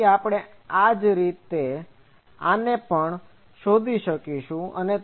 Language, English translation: Gujarati, So, we can similarly find this